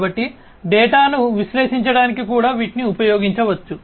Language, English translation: Telugu, So, those are those could also be used to analyze the data